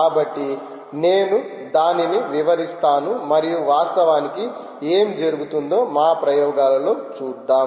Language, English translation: Telugu, so let me put down that and actually see our experiments